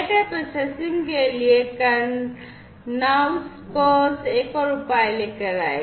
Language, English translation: Hindi, Karnouskos came up with another solution for data processing